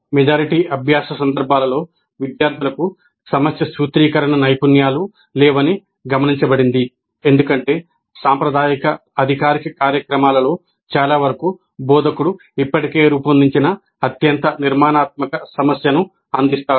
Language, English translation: Telugu, In a majority of learning context, it has been observed that students do not have problem formulation skills because in most of the conventional formal programs, the instructor provides a highly structured problem already formulated